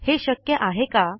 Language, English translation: Marathi, Would it be possible to do this